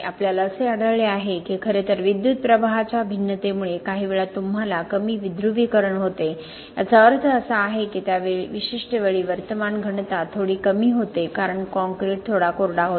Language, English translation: Marathi, We have found that, in fact, because of the variation of the current the fact that sometimes you get the lower depolarization, what that means is that at that particular time the current density was a bit lower because the concrete was a bit drier